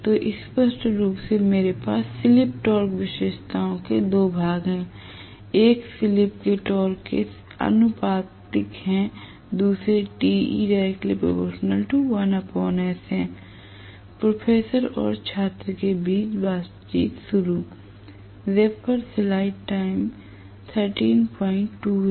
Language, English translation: Hindi, So, I have 2 portions of the slip torque characteristics clearly, one corresponding to the slip being proportional to the torque the other being the other being proportional to 1 by S the torque being proportional to 1 by S